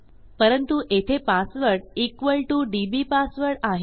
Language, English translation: Marathi, But this password is equal dbpassword